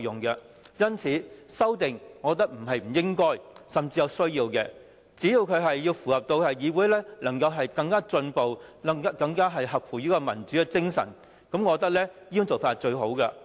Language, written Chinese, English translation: Cantonese, 因此，我覺得修訂是應該甚至是有需要的，只要符合議會能夠更進步、更合乎民主精神，我覺得這種做法是最好的。, Hence I feel that amendments should be and even need to be proposed to the Rules of Procedure as long as they can make this Council more progressive and more in line with the spirit of democracy . This is the best approach in my opinion